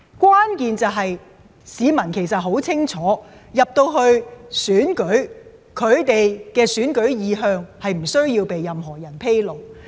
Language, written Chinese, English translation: Cantonese, 關鍵是，市民很清楚進入投票站後，他們的投票意向不須向任何人披露。, The key is that members of the public know very well that once they have entered the polling stations they should not reveal their voting choices to anybody